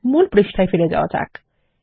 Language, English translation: Bengali, Lets go back to the main page